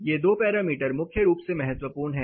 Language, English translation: Hindi, These two parameters are crucially important